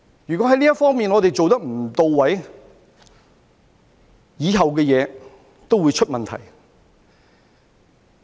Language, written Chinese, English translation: Cantonese, 如果這方面做得不到位，以後的東西都會出問題。, If this is not done properly all subsequent actions will go wrong